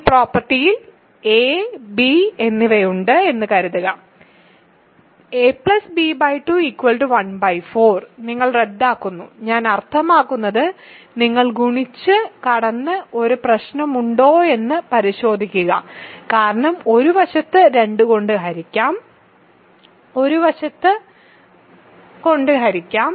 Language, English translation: Malayalam, Suppose, there is a and b with this property a plus b by 2 is 1 by 4, you cancel, I mean you cross multiply and check that there is a problem because one side will be divisible by 2, one side will be divisible by 4 and there is some contradiction that you will get